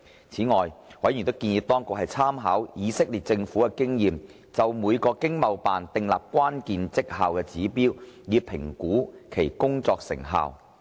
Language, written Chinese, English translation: Cantonese, 此外，委員建議當局參考以色列政府的經驗，就每個駐海外經濟貿易辦事處訂立關鍵績效指標，以評估其工作成效。, Moreover members also suggested the authorities to make reference to Israels experience and put in place a set of key performance indicators to evaluate the work performance of each Overseas Hong Kong Economic and Trade Office